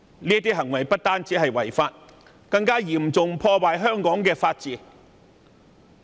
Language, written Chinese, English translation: Cantonese, 這些行為不止違法，更嚴重破壞香港的法治。, Such behaviour was not only unlawful but also damaging the rule of law